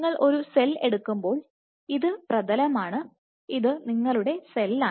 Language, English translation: Malayalam, So, when you take a cell that this is the substrate and this is your cell